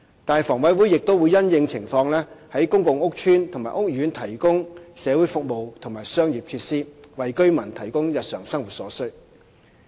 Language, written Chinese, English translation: Cantonese, 但是，房委會亦會因應情況，在公共屋邨和屋苑提供社會服務和商業設施，為居民提供日常生活所需。, However HA will also in the light of circumstances provide social services and commercial facilities in public housing estates and courts to provide daily necessities for the residents